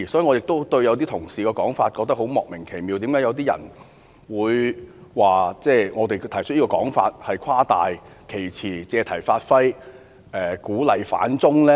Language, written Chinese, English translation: Cantonese, 我亦對某些同事的說法感到莫名其妙，為何有些人會指我們誇大其詞、借題發揮、鼓勵"反中"呢？, I also find certain Honourable colleagues remarks baffling . Why did some people say we are exaggerating making an issue of the subject and encouraging opposition to China? . I remember that Mr Jeffrey LAM also seemed to say such things just now